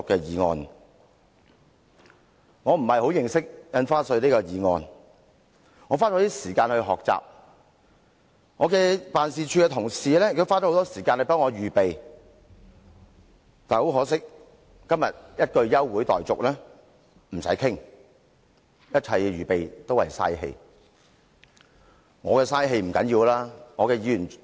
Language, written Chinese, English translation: Cantonese, 由於我對《條例草案》認識不深，我花了一些時間學習，我的辦事處同事也花了很多時間替我預備發言稿，但很可惜，政府今天一句"休會待續"便不用再談，一切預備都是浪費氣力。, As I have little understanding of the Bill I have spent some time studying the Bill . The colleagues in my office have also spent much time preparing my speech . Sadly as soon as the Government proposes the adjournment motion all the preparation work goes down the drain